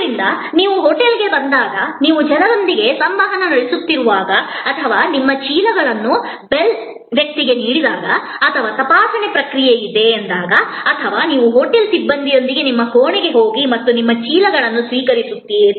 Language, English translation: Kannada, So, when you are interacting with the people when you arrive at the hotel or you give your bags to the bell person or there is a checking in process or you go to your room with the hotel personnel and you receive your bags